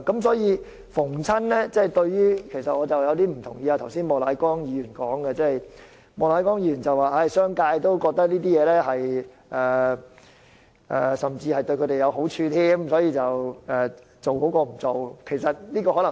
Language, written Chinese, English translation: Cantonese, 所以，我有些不同意莫乃光議員剛才的發言，他說商界也覺得推行強制性標籤計劃對他們有好處，所以推行比不推行好。, For this reason I do not very much agree to the remarks of Mr Charles Peter MOK just now who said that the business sector also believe that the implementation of MEELS will benefit them so its implementation is better than none